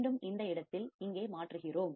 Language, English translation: Tamil, Again we are substituting here in this place